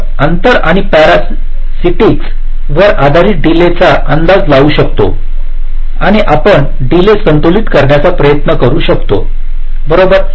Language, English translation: Marathi, we can estimate the delay based on the distance and the parsitics and you can try to balance the delays right